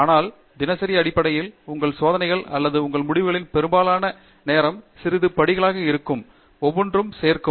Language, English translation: Tamil, But, on a day to day basis, most of the time your experiments or your results are going to be small steps, each individual step will add to something